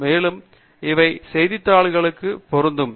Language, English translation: Tamil, And, these are also applicable for newspapers